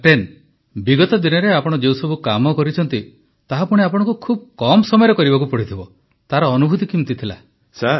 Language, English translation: Odia, Captain the efforts that you made these days… that too you had to do in very short time…How have you been placed these days